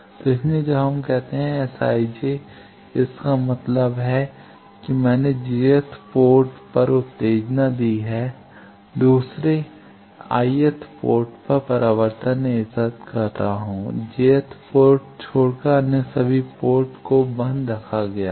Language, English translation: Hindi, So, that is why when we say S i j that means, that I have given the excitation at jth port the second subscript I am collecting the reflection at i th port, except j th port all other ports the excitation is put off